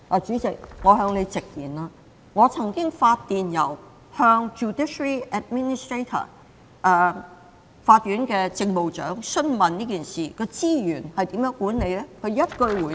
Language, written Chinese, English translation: Cantonese, 主席，容我向你直言，我曾就這事發電郵向司法機構政務長詢問，究竟資源是如何管理的？, How could the Judiciary allow these things to happen? . President allow me to be frank with you . I once wrote an email to the Judiciary Administrator enquiring how the resources of the Judiciary were managed